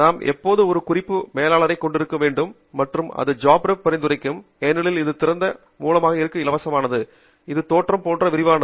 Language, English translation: Tamil, we always need a reference manager and I would suggest Jabra because it is open source and free and it has a spreadsheet like appearance and the job